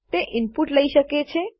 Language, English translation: Gujarati, It can take an input